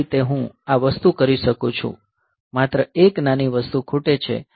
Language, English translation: Gujarati, So, this way I can do this thing; only one thing one small thing is missing